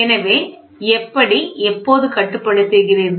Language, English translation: Tamil, So, how when do you control